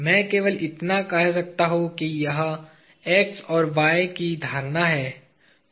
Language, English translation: Hindi, I can just say that this is the notion of x and y